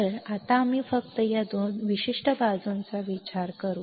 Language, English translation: Marathi, So, now we will just consider this particular side